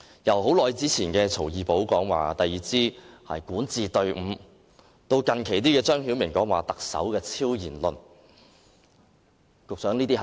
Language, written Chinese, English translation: Cantonese, 由多年前曹二寶說第二支管治隊伍，直至近期張曉明發表的特首超然論，這些是證據嗎，局長？, Judging from the remark made by CAO Erbao many years ago about a second governing team and the recent remark made by ZHANG Xiaoming that the Chief Executive held a transcendent status are these evidences Secretary?